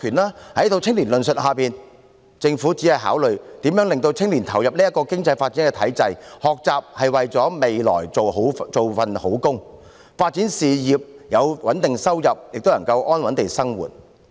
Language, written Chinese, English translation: Cantonese, 在這套青年論述下，政府只是考慮如何令青年投入這個經濟發展的體制；學習是為了未來有一份好工作，發展事業；有穩定收入，便可以安穩地生活。, Under such an analysis of young people the Government is only concerned about how to make young people participate in this system of economic development . Learning is designed for finding a good job and developing ones career in the future . With a stable income one can lead a stable life